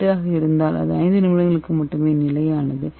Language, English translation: Tamil, 8 it is stable only for 5 minutes okay